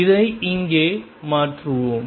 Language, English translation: Tamil, Let us substitute this here